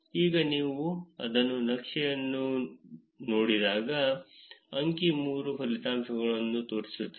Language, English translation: Kannada, Now when you look at it in a map, the figure 3 actually shows the results